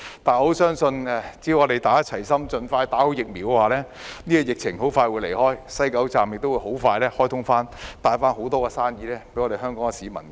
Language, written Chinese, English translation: Cantonese, 但我相信只要大家齊心，盡快接種疫苗，疫情很快便會退卻，西九龍站亦很快會重開，帶給香港市民很多生意。, Yet I believe that as long as we gather together and get vaccinated as soon as possible the epidemic will soon subside and the West Kowloon Station will re - open and bring lots of business to Hong Kong